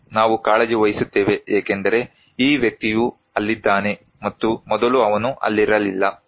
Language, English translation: Kannada, Yes, we concern because this person is there and earlier he was not there